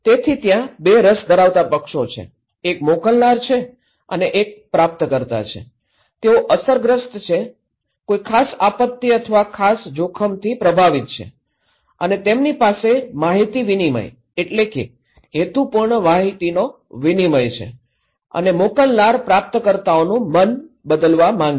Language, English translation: Gujarati, So, there are two interested parties; one is the sender and one is the receiver, they are affected, impacted by particular disaster or particular risk and they have an information exchange, purposeful exchange of informations and sender wants to change the mind of the receivers okay